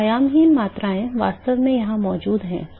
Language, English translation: Hindi, So, really dimensionless quantities are actually present here